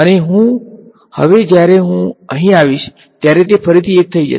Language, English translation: Gujarati, And now by the time I come over here it is going to be 1 again